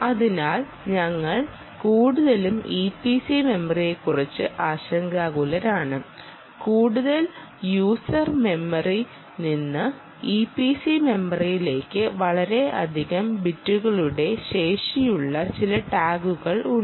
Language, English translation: Malayalam, so we are mostly worried about e p c memory and there are some tags that have the capability of a lot more bits to the e p c memory from the user memory